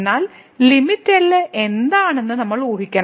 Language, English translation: Malayalam, But we have to guess that what is the limit